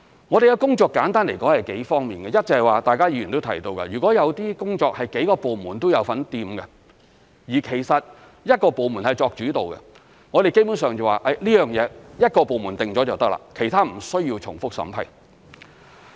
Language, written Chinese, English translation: Cantonese, 我們的工作簡單來說有數方面，一，就是議員提到的，如果有些工作是幾個部門也有份參與，但其實由一個部門作主導，基本上這件事由一個部門決定就可以了，其他部門無需重複審批。, To put it simply our work involves a few areas first as mentioned by a Member if several departments are involved in certain work processes which are actually led by just one of the departments it is basically sufficient for that particular department to make decisions so as to avoid multiple vetting by other departments